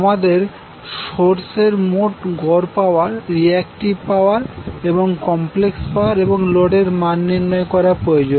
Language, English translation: Bengali, We need to determine the total average power, reactive power and complex power at the source and at the load